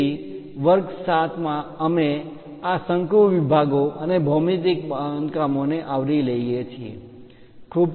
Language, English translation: Gujarati, So, in lecture 7 onwards we cover these conic sections and geometrical constructions